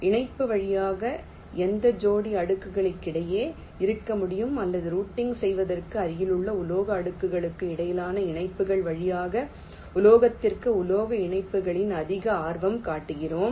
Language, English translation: Tamil, via connection can exist between any pair of layers or for routing, we are more interested in metal to metal connections via connections between adjacent metal layers